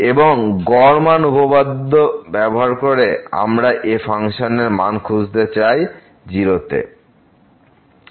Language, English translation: Bengali, And, using mean value theorem we want to find the value of the function at